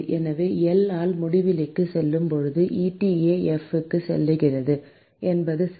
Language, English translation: Tamil, So, which means that as L goes to infinity eta f goes to 0 that is right